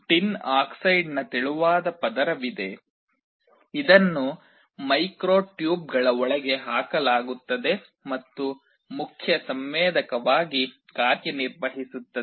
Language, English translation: Kannada, There is a thin layer of tin dioxide, which is put inside the micro tubes and acts as the main sensor